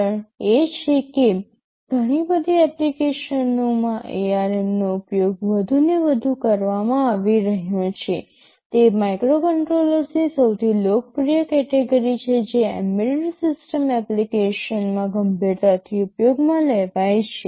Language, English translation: Gujarati, The reason is this ARM have has been this has been you can say increasingly used in many applications, they are the most popular category of microcontrollers which that has are seriously used in embedded system applications